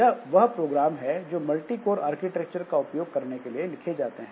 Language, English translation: Hindi, So, the programs that are retained to exploit this multi core architecture